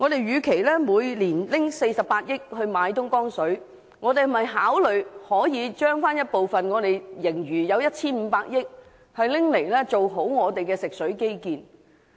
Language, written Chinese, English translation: Cantonese, 與其每年花費48億元購買東江水，不如考慮撥出 1,500 億元盈餘的其中一部分，做好本地的食水基建。, Instead of spending 4.8 billion every year on the purchase of Dongjiang water it would indeed be a better idea to consider allocating a portion of our fiscal surplus of 150 billion for the development of water infrastructure in the territory